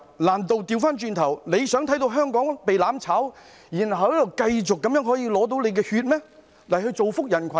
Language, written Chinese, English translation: Cantonese, 難道它倒過來想看見香港被"攬炒"，然後仍有人繼續向它捐血，造福人群嗎？, Do they want to see just the opposite that is Hong Kong is doomed by mutual destruction and people still continue to donate blood to it for the benefit of society?